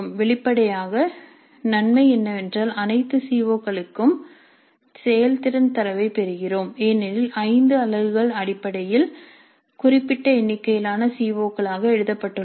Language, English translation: Tamil, Obviously the advantage is that we get performance data regarding all COs because the five units essentially are written down as certain number of COs